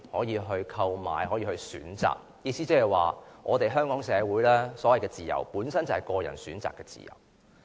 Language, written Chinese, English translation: Cantonese, 意思即是，香港社會的所謂自由，本身就是個人選擇的自由。, In other words freedom as we see it in our society is essentially the freedom to make personal choices